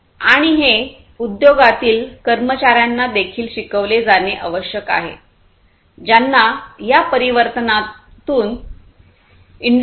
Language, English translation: Marathi, And this needs to be also educated to the industry workforce who needs to get into this transformation to industry 4